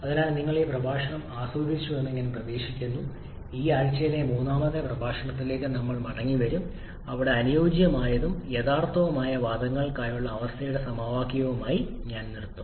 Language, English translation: Malayalam, So I hope you have enjoyed this lecture we shall be coming back to the with the 3rd lecture of this week where I shall be wrapping up with the equation of state for ideal and real gases till then thank you